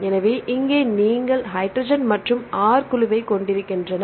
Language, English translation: Tamil, So, here you have the hydrogen and the R group